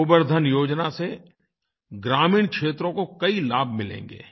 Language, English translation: Hindi, Under the aegis of 'GobarDhanYojana', many benefits will accrue to rural areas